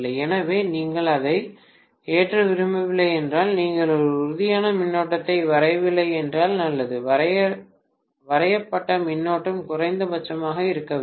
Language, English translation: Tamil, So if you do not want to load it, you better not draw a tangible current, the current drawn should be as minimum as it can be